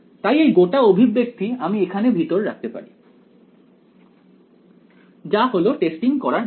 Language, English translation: Bengali, So, this whole expression I can put inside over here that is the meaning of doing testing